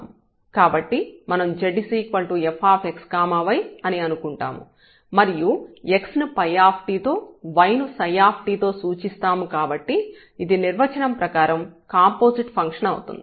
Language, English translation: Telugu, So, we take that this z is equal to f x y and x is a function of phi t and y is a function of t as denoted by psi t and this is a composite function which we call as for the definition